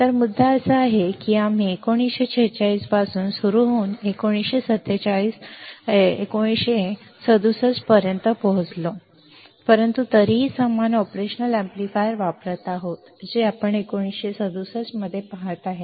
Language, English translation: Marathi, So, the point is that we started from 1946 we reached to 1967, but still we are using the same operational amplifier you see guys 1967 to present all right